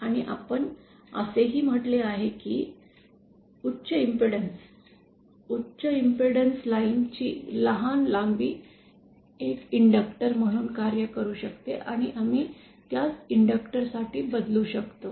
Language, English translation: Marathi, And we also said that high impedance, short length of high impedance line can act as in that and we can substitute that for inductor